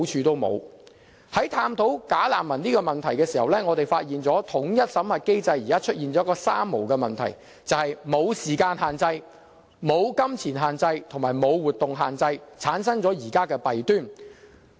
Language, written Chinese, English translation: Cantonese, 在探討"假難民"問題時，我們發現統一審核機制出現了一個"三無"問題，便是"無時間限制"、"無金錢限制"及"無活動限制"，以致產生了現在的弊端。, In the course of our study of the bogus refugees problem we notice a three - nos problem in the unified screening mechanism namely no time limit no money limit and no restriction on the claimants movements . These have brought forth the problems at present